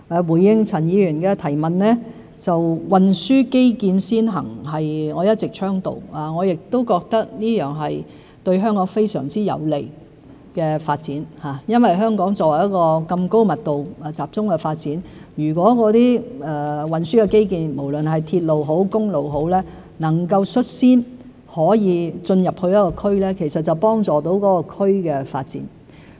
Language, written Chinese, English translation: Cantonese, 回應陳議員的提問，運輸基建先行是我一直倡導的，我亦覺得這是對香港非常有利的發展，因為香港這麼高密度集中發展，如果運輸基建——無論是鐵路也好、公路也好——能夠率先進入一個區，就可以幫助那個區的發展。, To answer Mr CHANs question I have all along advocated the transport infrastructure - led approach which I believe will be highly beneficial to Hong Kongs development . Given Hong Kongs highly dense development structure the introduction of transport infrastructure―be it railways or highways―will certainly drive the development of an area